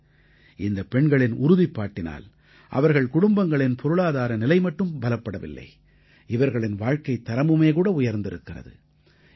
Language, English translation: Tamil, Today, due to the resolve of these women, not only the financial condition of their families have been fortified; their standard of living has also improved